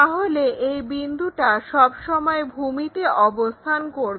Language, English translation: Bengali, So, this point always be on that ground